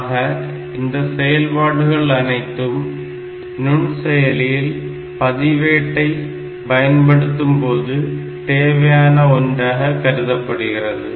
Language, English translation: Tamil, So, all those operations are needed when we are incorporating these registers inside microprocessors